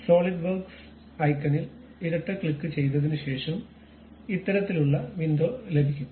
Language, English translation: Malayalam, After double clicking the Solidworks icon, we will have this kind of window